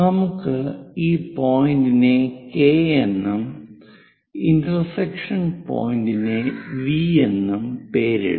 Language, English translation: Malayalam, Let us name this point K and the intersection point as V